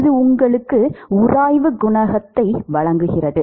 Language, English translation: Tamil, It gives you the friction coefficient